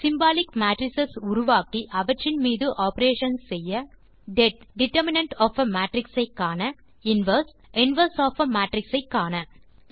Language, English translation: Tamil, Then create symbolic matrices and perform operations on them like det() to find out the determinant of a matrix inverse() to find out the inverse of a matrix